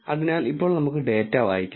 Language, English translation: Malayalam, So, now let us read the data